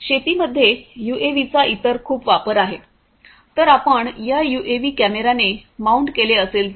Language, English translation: Marathi, There are lot of different other uses of use of UAVs in agriculture, particularly if you mount these UAVs with a camera